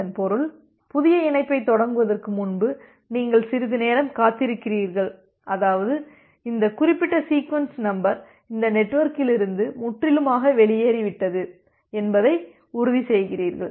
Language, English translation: Tamil, That means, you wait for some amount of time before initializing the new connection such that you become ensured that this particular sequence number which was there say this sequence number it was completely gone out of the network